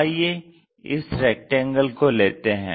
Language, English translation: Hindi, Let us look at a rectangle